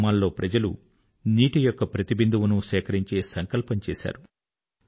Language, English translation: Telugu, People in village after village resolved to accumulate every single drop of rainwater